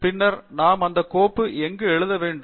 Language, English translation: Tamil, And then, where do we write that file